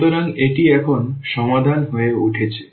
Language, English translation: Bengali, So, that this has become the solution now